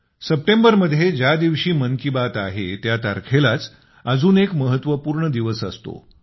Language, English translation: Marathi, The day of Mann Ki Baat this September is important on another count, date wise